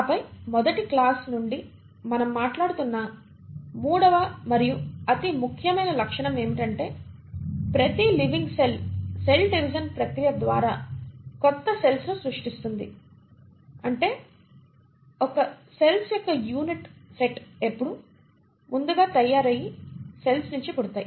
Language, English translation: Telugu, And then the third and the most important feature which we have been speaking about since the first class is that each living cell will give rise to new cells via the process of cell division that is one set of cells will always arise from pre existing cells through the process of cell division or what you call as reproduction